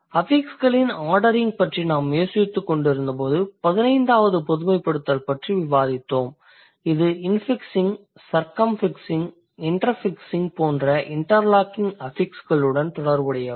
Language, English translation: Tamil, Let's say, let's talk about an example in case of so when we were thinking about the ordering of affixes we just discussed the 15th generalization that says when it's related to the interlocking affixes like infixing, circumfixing and interfixing, these are rare